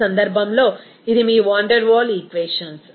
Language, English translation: Telugu, in this case, this is your Van der Waal equations